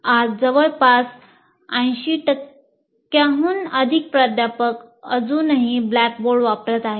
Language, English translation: Marathi, And fairly more than 80% of the faculty today are still using blackboard